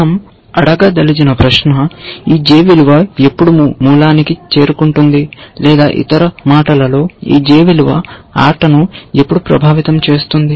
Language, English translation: Telugu, The question we want to ask is; when will this j value reach the route, or in other words, when will this j value influence the game, essentially